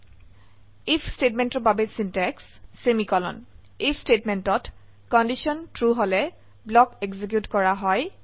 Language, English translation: Assamese, Syntax for If statement In the if statement, if the condition is true, the block is executed